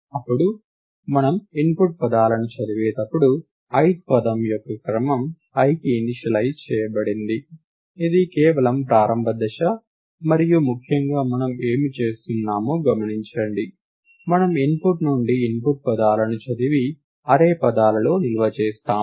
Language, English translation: Telugu, Then as we read the input words, the order of the ith word is initialized to i, this is just the initialization step and most importantly observe what we are doing, we reading the input words from the input and storing it into the array words